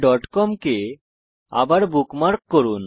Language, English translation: Bengali, Lets bookmark Google.com again